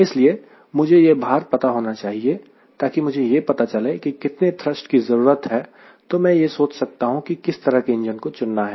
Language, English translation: Hindi, so i need to know this weight because that will tell me what is the thrust required and i can now think of what sort of the engine i will be picking up